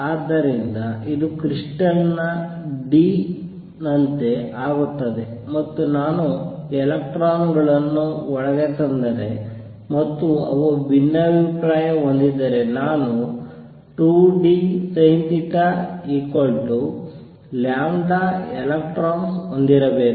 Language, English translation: Kannada, So, this becomes like the d of the crystal, and if I bring the electrons in and they diffract then I should have 2 d sin theta equals lambda electrons